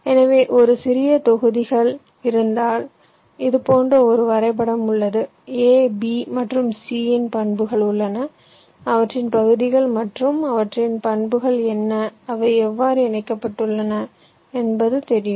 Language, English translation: Tamil, ok, so what we saying is that if we have a small set of blocks, we have a graph like this, we have the properties of a, b and c, what are their areas and their properties, how they are connected